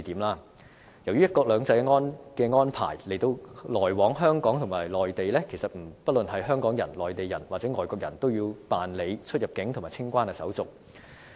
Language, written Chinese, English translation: Cantonese, 由於"一國兩制"的安排，來往香港及內地，不論是香港人、內地人或外國人，都要辦理出入境及清關手續。, Because of the principle of one country two systems travellers between Hong Kong and the Mainland no matter they are Hong Kong people Mainland people or foreigners must go through the CIQ procedures